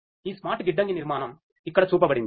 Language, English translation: Telugu, This smart warehousing architecture is shown over here